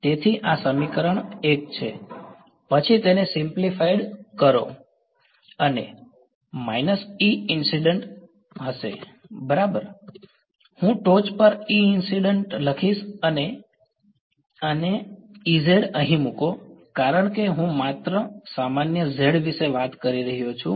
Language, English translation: Gujarati, So, this equation 1 then get simplified in to this is equal to minus E incident right I am going to write E incident on top and put a z over here because I am only talking about the z common